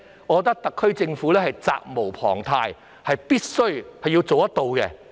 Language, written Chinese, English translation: Cantonese, 我認為特區政府責無旁貸，必須監察他們。, I think the SAR Government has a bounden duty to monitor them